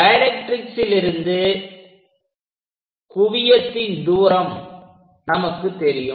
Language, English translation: Tamil, The distance from focus from the directrix is known